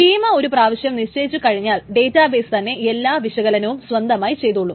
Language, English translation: Malayalam, Once the schema is fixed, once the schema is given, then the database does all the parsing, etc